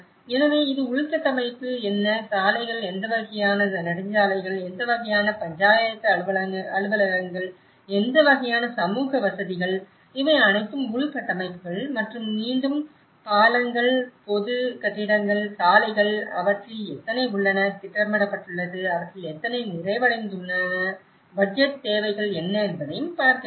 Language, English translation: Tamil, So, this is the infrastructure, what are the roads, what kind of highways, what kind of Panchayat offices, what kind of community facilities, so this is all the infrastructures and again the bridges, public buildings, roads, how many of them are planned, how many of them are completed, what are the budgetary requirements